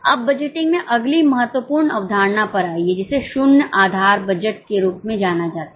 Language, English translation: Hindi, Now coming to the next important concept in budgeting that is known as zero base budgeting